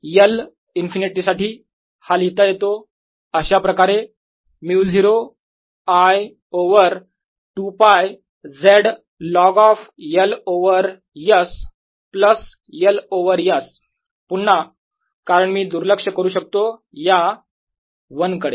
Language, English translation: Marathi, this can be written as mu zero i over two pi z log of l over s plus l over s again, because i can ignore that one